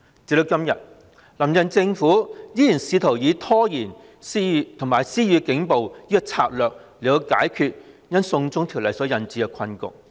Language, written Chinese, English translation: Cantonese, 直到今天，"林鄭"政府依然試圖透過拖延和施以警暴的策略解決因"送中條例"所引致的困局。, Even today the Carrie LAM Administration still attempts to tackle the political predicament arising from the China extradition bill through the strategy of procrastination and police brutality